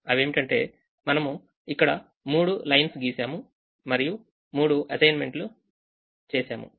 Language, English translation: Telugu, we drew three lines and there were three assignments